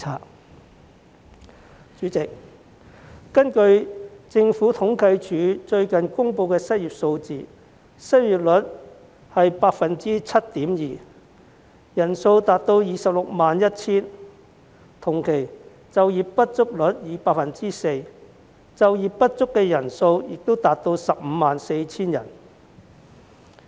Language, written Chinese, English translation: Cantonese, 代理主席，根據政府統計處最近公布的失業數據，失業率是 7.2%， 失業人數達 261,000 人，同期就業不足率是 4%， 就業不足人數亦達 154,000 人。, Deputy President according to the unemployment figures recently released by the Census and Statistics Department the unemployment rate was 7.2 % and the number of unemployed persons reached 261 000; over the same period the underemployment rate was 4 % and the number of underemployed persons reached 154 000